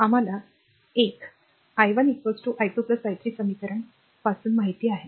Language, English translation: Marathi, And we know from the equation 1 i 1 is equal to i 2 plus i 3